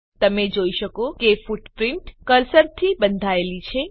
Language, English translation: Gujarati, You can see that footprint is tied to cursor